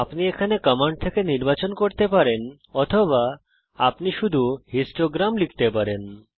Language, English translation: Bengali, You can select from the commands here or you can just type histogram